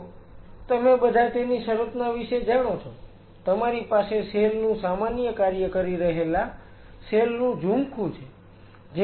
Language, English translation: Gujarati, So, all of you are aware about the organization; you have cells cluster of cells performing a common function